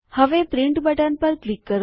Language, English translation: Gujarati, Now click on the Print button